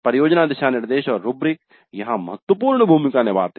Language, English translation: Hindi, Project guidelines and rubrics play the key roles here